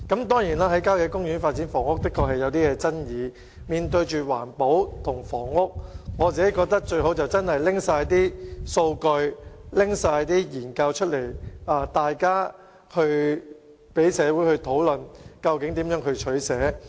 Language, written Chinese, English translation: Cantonese, 當然，在郊野公園發展房屋確實存在爭議，面對環保與房屋之間的兩難，我認為政府應公開所有數據和研究，讓社會大眾一起討論該如何取捨。, As we now face a very difficult choice between environmental protection and housing development I think the Government should disclose all relevant data and study findings so as to facilitate public discussions on how a choice should be made